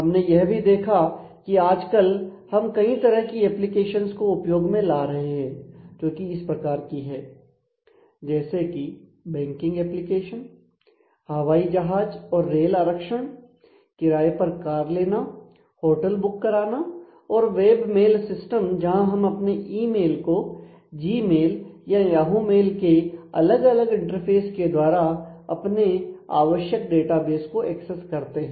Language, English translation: Hindi, And we have seen we are living through a variety of applications which are of this kind the banking application, the airline and railway reservations car rental hotel booking or web mail systems we will check mail in Gmail or Yahoo those are all different web interfaces through which we actually access a the required set of databases